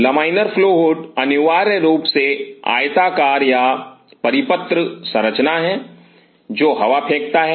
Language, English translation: Hindi, Laminar flow hood is essentially rectangular or circular structure which where the airs